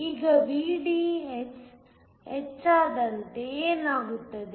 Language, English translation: Kannada, Now, what happens as VDS increases